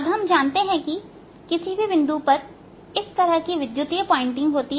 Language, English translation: Hindi, now, at any point we know there is, obviously there will be electrical pointing like this